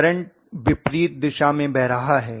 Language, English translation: Hindi, The current is exactly flowing in the opposite direction